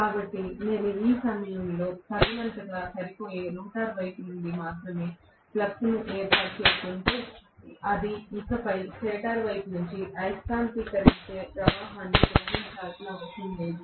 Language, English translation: Telugu, So, if I am establishing the flux only from the rotor side, which is sufficient enough at this juncture, it does not have to draw anymore magnetising current from the stator side